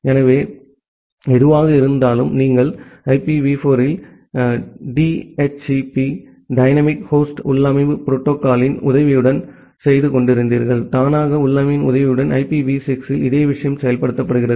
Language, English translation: Tamil, So, whatever, we were you doing in IPv4 with the help of DHCP dynamic host configuration protocol; the same thing is implemented in IPv6 with the help of auto configuration